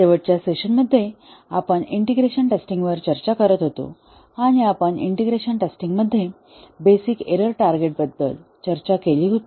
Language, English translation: Marathi, In the last session, we were discussing integration testing, and we had discussed about the basic error target in integration testing